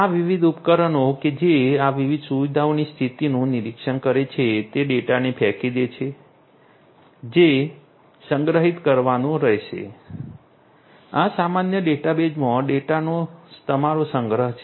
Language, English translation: Gujarati, These different devices which are monitoring the condition of these different facilities, they are going to throw in data which will have to be stored; this is your storage of the data in the common database